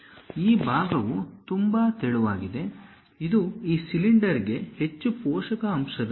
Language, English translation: Kannada, This part is very thin, it is more like a supporting element for this cylinder